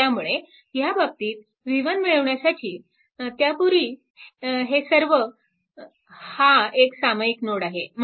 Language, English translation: Marathi, So, this voltage actually v 1 and this is also a common node